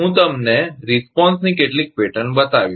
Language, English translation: Gujarati, I will show you some pattern of response